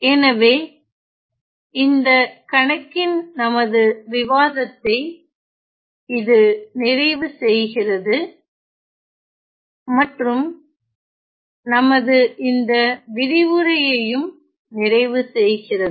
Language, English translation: Tamil, So, that is going to complete our discussion on the problem and that is also going to complete our discussion on this, this particular lecture